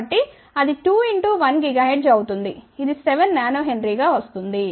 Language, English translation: Telugu, So, that will be 2 pi into 1 gigahertz this comes out to be 7 nanohenry